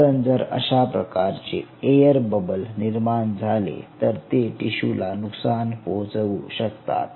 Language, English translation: Marathi, ok, there is no air bubble formation taking place here, because such air bubble formation damages the tissue